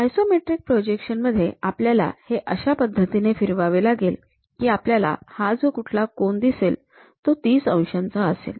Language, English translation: Marathi, In the isometric projections, we have to rotate in such a way that; we will see this angle whatever it is making as 30 degrees thing